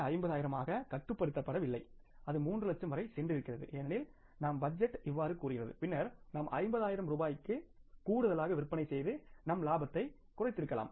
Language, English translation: Tamil, 5 but had it gone up to 3 lakhs because your budget says like this then we could have been shelling out 50,000 rupees extra and lowering down our profits